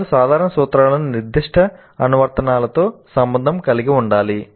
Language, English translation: Telugu, They must be able to relate the general principles to the specific applications